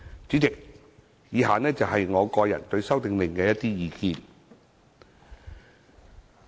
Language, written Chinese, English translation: Cantonese, 主席，以下是我個人對《修訂令》的一些意見。, President the following are my personal views on the Amendment Order